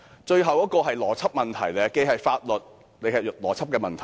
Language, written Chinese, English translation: Cantonese, 最後一點既是法律問題，也是邏輯問題。, But anyway my last point is about laws and reasoning